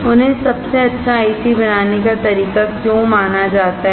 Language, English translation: Hindi, Why are they considered as the best mode of manufacturing IC